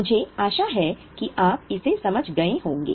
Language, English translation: Hindi, I hope you have understood it